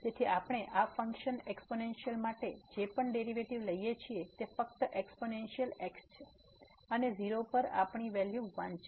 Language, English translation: Gujarati, So, whatever derivative we take for this function exponential it is just the exponential and at 0 we have the value 1